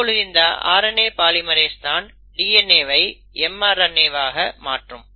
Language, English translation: Tamil, So now its the RNA polymerase which will do this conversion from DNA to mRNA